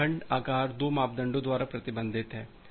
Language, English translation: Hindi, That the segment size it is restricted by 2 parameters